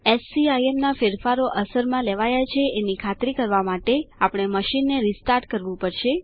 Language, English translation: Gujarati, We will have to restart the machine to ensure that SCIM changes have taken effect